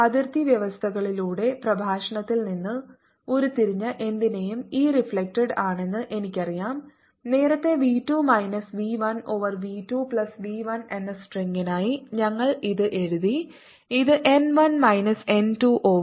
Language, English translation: Malayalam, i know that e reflected, for whatever we derived in the lecture through boundary conditions is nothing, but earlier we wrote it for the string v two minus v one over v two plus v one, which could also be written as n one minus n two over n one plus n two times o e incident e incident